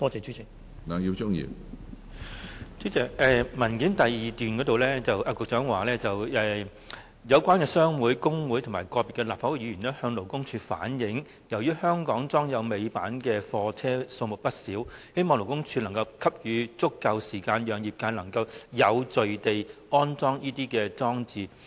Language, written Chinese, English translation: Cantonese, 主席，局長在主體答覆第二部分提到，有關商會、工會及個別立法會議員向勞工處反映由於香港裝有尾板的貨車數目不少，希望勞工處能夠給予足夠時間，讓業界能有序地安裝這些裝置。, President it is mentioned in part 2 of the Secretarys main reply that in view of the large number of goods vehicles fitted with tail lifts in Hong Kong concerned trade associations workers unions and some Legislative Council Members appealed to LD to allow sufficient time for the industry to install these devices in an orderly manner